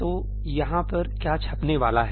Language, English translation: Hindi, So, what is going to get printed over here